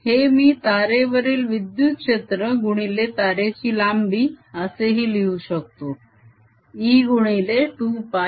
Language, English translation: Marathi, this could also write as electric field on that wire times length of the wire, which is e times two pi r